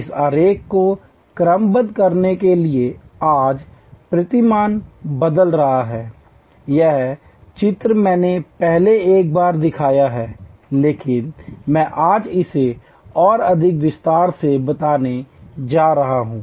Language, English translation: Hindi, The paradigm is changing today to sort of a this diagram, this diagram I have shown once before, but I am going to explain it in greater detail today